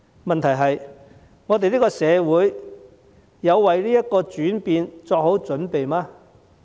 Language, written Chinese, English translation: Cantonese, 問題是：我們的社會有為這個轉變作好準備嗎？, At issue is Has the community made preparations for this change?